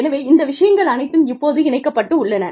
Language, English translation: Tamil, So, all of these things, are connected, now